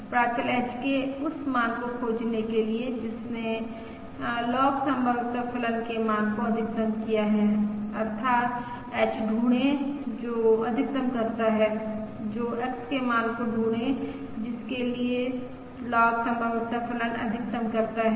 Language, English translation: Hindi, Now one has to find the maximum of log likelihood function, that is, find the value of H for which this log likelihood is maximised